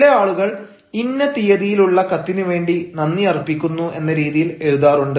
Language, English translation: Malayalam, some people also write, ah, thanks for a letter dated such and such